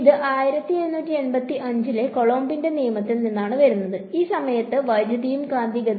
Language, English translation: Malayalam, It comes from Coulomb’s law which is 1785 and at that time electricity and magnetism